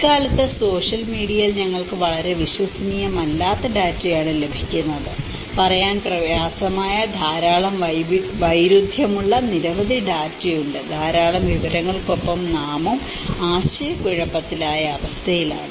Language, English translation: Malayalam, And nowadays, in the social media we are getting a very unreliable data, is difficult to say there are many much of contradicting data, with lot of information we are also getting into a confused state